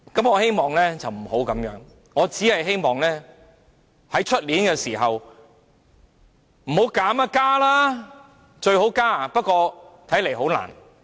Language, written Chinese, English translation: Cantonese, 我希望不是這樣，我只希望明年這個時候，不是提出削減，是建議增加，最好增加。, I do not wish to do so . Hopefully at the same occasion next year I can propose to increase instead of reducing the Secretarys personal emoluments